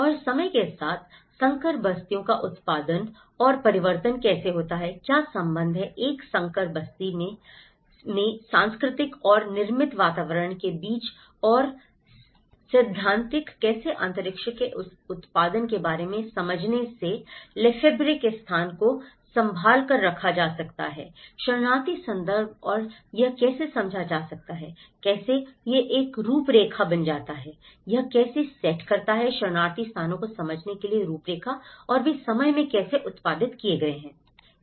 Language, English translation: Hindi, And how hybrid settlements are produced and transformed over time, what is the relationship between the cultural and the built environments in a hybrid settlement and how the theoretical understanding of this production of space the handle Lefebvreís space could be relooked in a refugee context and how it could be understood, how it becomes a framework, how it sets a framework to understand the refugee places and how they have been produced in time